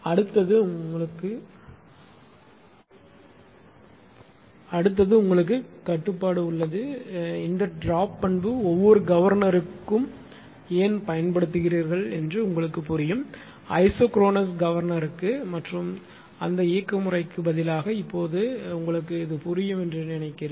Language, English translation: Tamil, Next one is that you have contro; I hope this droop characteristic why why do they why do they use that droop characteristic for each governor I think it is it is now understandable understandable to you, instead of instead of isochronous governor right and those mechanism